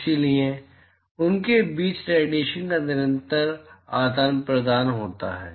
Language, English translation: Hindi, So, there is a constant exchange of radiation between them